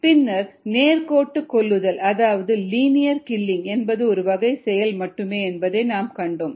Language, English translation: Tamil, before that we did see that ah, this linear killing, is only one kind of a behavior